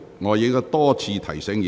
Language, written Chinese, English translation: Cantonese, 我已多次提醒委員。, I have repeatedly reminded Members about this